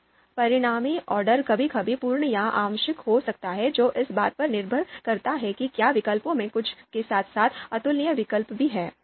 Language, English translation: Hindi, Now, the this resulted ordering can sometimes be complete, can sometimes be partial, so that depends on whether we have the whether among the alternatives we have some of the incomparable alternatives as well